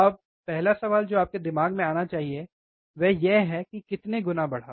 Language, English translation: Hindi, Now, the first question that should come to your mind is, it amplified how many times